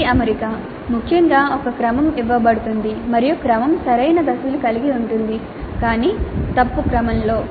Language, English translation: Telugu, Then rearrangements, particularly a sequence is given and the sequence contains the right steps but in wrong order